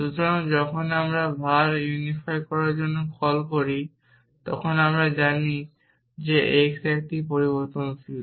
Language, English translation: Bengali, So, when we make a call to var unify we know that x is a variable